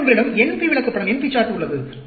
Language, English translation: Tamil, Then, you have the NP Chart